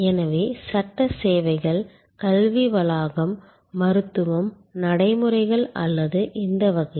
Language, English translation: Tamil, So, legal services, education complex, medical, procedures or in this category